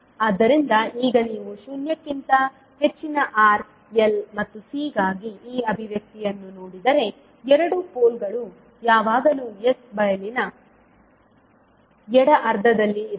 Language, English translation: Kannada, So now if you see this particular expression for r l and c greater than zero two poles will always lie in the left half of s plain